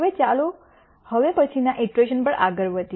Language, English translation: Gujarati, Now, let us proceed to the next iteration